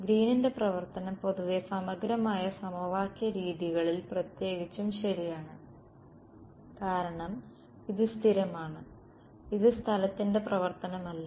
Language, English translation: Malayalam, Green’s function in more generally integral equation methods right particularly so, because this guy is constant its not a function of space